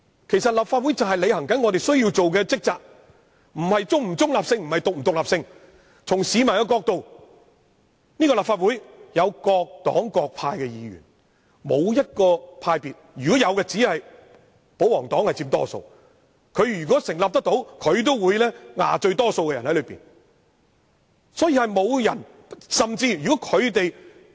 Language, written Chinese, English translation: Cantonese, 其實，立法會正是要履行我們的職責，問題並不在於本會是否中立或獨立，而是從市民的角度而言，立法會由各黨各派議員組成，沒有任何一個派別佔多數，即使有也只是保皇黨。, As a matter of fact the Legislative Council is now trying to discharge its duties and whether this Council is impartial or independent is not the issue in question because from the perspective of the general public the Legislative Council is formed by Members from many different political parties and groups and not a single one of them is in the majority except the royalists